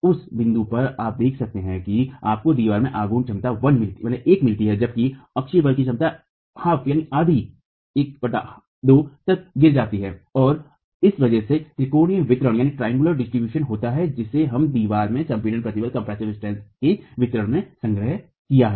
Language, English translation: Hindi, At that point you can see that you get a moment capacity of one in the wall whereas the axial force capacity drops to one half and that's because of the triangular distribution that we've assumed in the distribution of compressive stresses in the wall